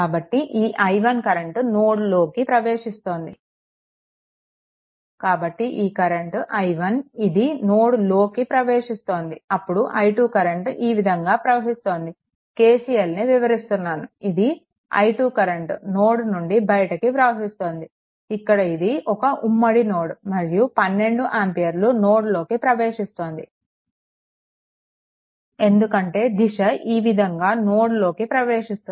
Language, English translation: Telugu, So, this i 1 current entering into the node so, this current is i 1 this is entering into the node, then i 2 current emitting like this the way we ah explain that KCL this is your i 2 current it is leaving the node then this is a common node then 12 ampere current it is entering into the node because direction is this way entering into the node